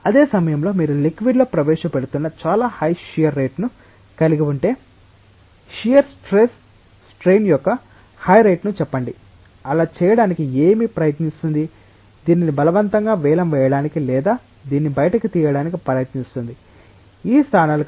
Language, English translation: Telugu, At the same time, if you are having a very high shear rate which is being introduced on the liquid say a very high rate of shear strain, what will that try to do that will try to forcefully bid this out from or take this out from these locations